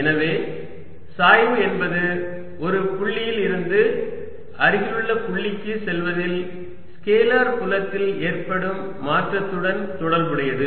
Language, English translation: Tamil, so gradient is related to change in a scalar field in going from one point to a nearby point